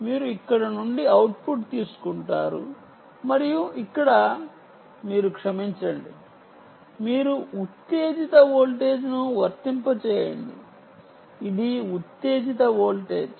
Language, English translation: Telugu, you take output from here and here you apply sorry, you apply the excitation voltage